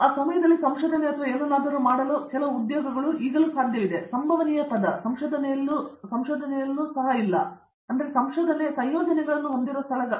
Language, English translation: Kannada, Now at least there are some employment for doing research or something at that time there is no possible term research also, very few places where having the research compositions